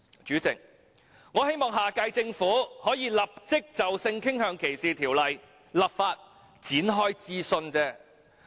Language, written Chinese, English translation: Cantonese, 主席，我希望下屆政府可以立即就性傾向歧視條例展開諮詢而已。, President I merely hope that the next - term Government can immediately initiate a consultation on a sexual orientation discrimination ordinance